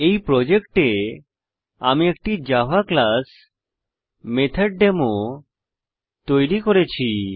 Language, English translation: Bengali, In the project, I have created a java class name MethodDemo